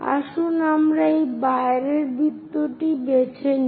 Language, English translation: Bengali, So, let us pick the outer circle, this one